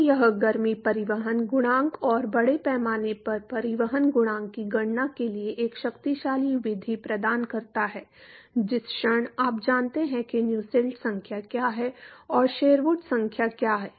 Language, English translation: Hindi, So, this provides a powerful method for calculating the heat transport coefficient and mass transport coefficient, moment you know what is Nusselt number and what is Sherwood number